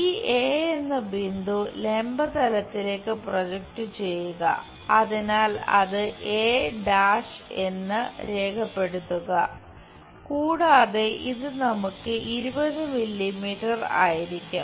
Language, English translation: Malayalam, Project this point A on to vertical plane so, that note it down a’ and this one if we are having that will be 20 mm